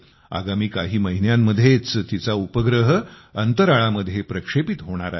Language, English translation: Marathi, She is working on a very small satellite, which is going to be launched in space in the next few months